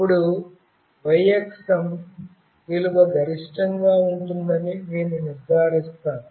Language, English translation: Telugu, Now, I will make sure that the y axis value will be maximum